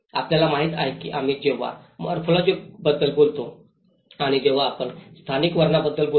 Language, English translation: Marathi, You know, when we talk about the morphology and when we talk about the spatial character